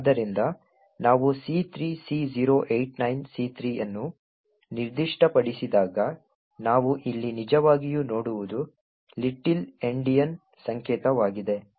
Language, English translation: Kannada, So, therefore, when we specify C3C089C3 what we actually see here is little Endian notation for the same